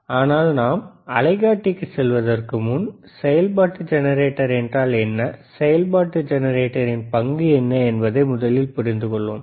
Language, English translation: Tamil, But before we move to oscilloscopes, let us first understand what is the function generator is, and what is the role of function generator is, all right